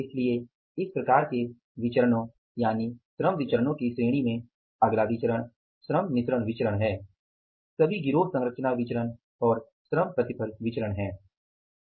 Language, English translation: Hindi, So, next variances in this category of the variance is in the labor variances are the labor mixed variances or the gang composition variances and the labor yield variance